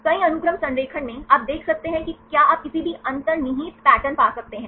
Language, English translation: Hindi, In a multiple sequence alignment, you can see whether you can find any inherent patterns